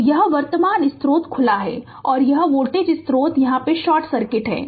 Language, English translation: Hindi, So, this current source is open and this voltage source here it is short circuited right